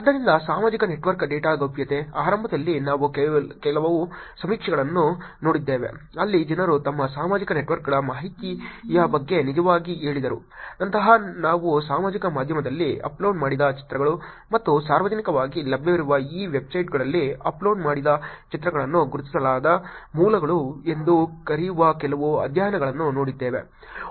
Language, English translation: Kannada, Therefore, social network data privacy, initially we saw some survey where people actually said about their information of the social networks, then we looked at some studies where pictures uploaded on social media and pictures uploaded on these publicly available websites which they called as unidentified sources can be actually used to find a person specifically or uniquely identify an individual